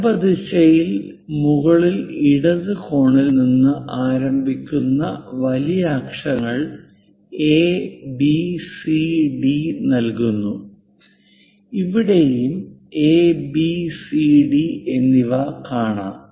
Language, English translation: Malayalam, In the vertical direction we give capital letters A B C D starting with top left corner and here also we see A B C and D